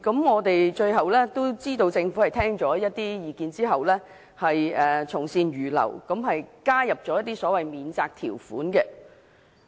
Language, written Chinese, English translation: Cantonese, 我們知道，政府最後聽取了部分意見，從善如流，加入一些免責條款。, We know that the Government has finally taken on board some good advice and introduce a defence provision to the Bill